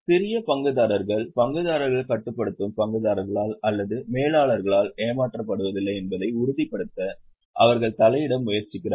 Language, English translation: Tamil, They try to intervene to ensure that small shareholders are not cheated by the controlling shareholders or by managers